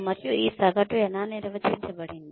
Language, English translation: Telugu, And, how is this average being defined